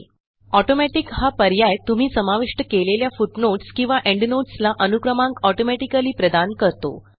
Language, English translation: Marathi, The Automatic option automatically assigns consecutive numbers to the footnotes or endnotes that you insert